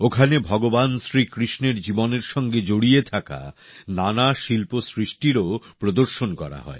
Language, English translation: Bengali, Here, many an artwork related to the life of Bhagwan Shrikrishna has been exhibited